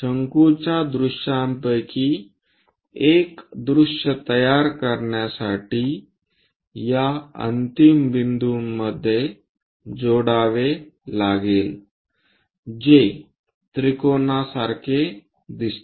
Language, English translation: Marathi, Join these end points to construct one of the view of a cone which looks like a triangle